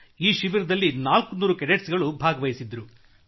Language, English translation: Kannada, 400 cadets attended the Camp